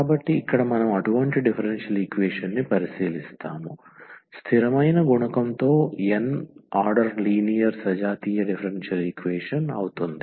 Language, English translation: Telugu, So, here we will consider such a differential equation, the nth order linear homogeneous differential equation with constant coefficient